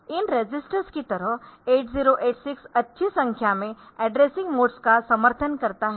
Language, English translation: Hindi, So, that we know in 8085 also we have seen a number of addressing modes